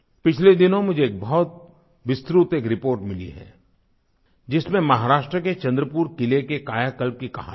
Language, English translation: Hindi, A few days ago I received a very detailed report highlighting the story of transformation of Chandrapur Fort in Maharashtra